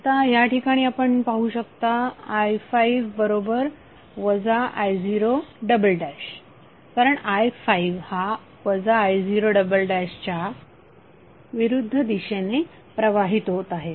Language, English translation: Marathi, So it will be 12 i1 minus 4 i2 because i2 is flowing in opposite direction of i1